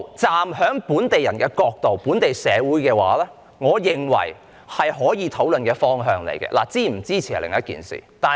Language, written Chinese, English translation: Cantonese, 站在本地人、本地社會的角度，我認為這些全部是可以討論的方向，是否支持是另一回事。, From the perspective of local people and society I consider that all these directions can be discussed while whether we should support them or not is another story